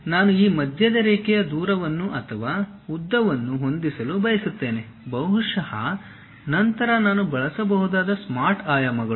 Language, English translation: Kannada, Now, I would like to adjust this center line distance or perhaps length, then Smart Dimensions I can use it